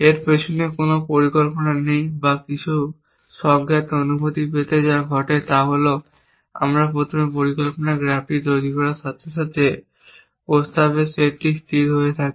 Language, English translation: Bengali, There is no plan or to get some intuitive feeling behind this, what happens is that as we construct the planning graph first the set of propositions stabilize that no more propositions added to the set